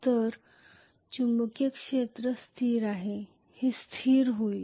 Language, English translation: Marathi, So the magnetic field is stationary, this is going to be stationary